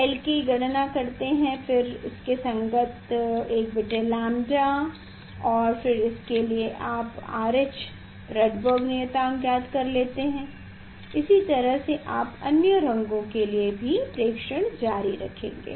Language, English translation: Hindi, calculate small l, corresponding lambda you can calculate 1 by lambda and for that you find out the R H Rydberg constant for just same way you continue for the other two colors are there anyway